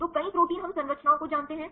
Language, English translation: Hindi, So, many proteins we know the structures